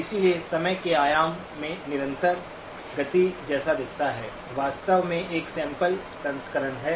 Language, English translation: Hindi, So in the time dimension, what looks like a continuous motion, is actually a sampled version